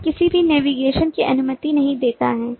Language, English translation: Hindi, this does not allow any navigation at all